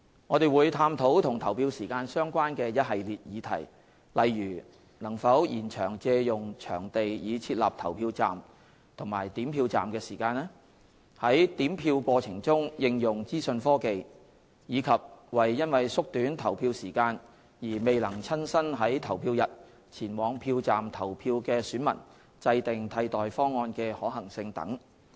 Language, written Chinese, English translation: Cantonese, 我們會探討與投票時間相關的一系列議題，例如能否延長借用場地以設立投票站及點票站的時間、在點票過程中應用資訊科技，以及為因縮短投票時間而未能親身在投票日前往票站投票的選民制訂替代方案的可行性等。, We will study a host of issues related to polling hours including the feasibility of extending the time of procurement of venues for setting up polling and counting stations use of information technology in the counting process and formulating alternative arrangements for electors who are unable to go to polling stations in person on the polling day to vote due to the shortening of polling hours etc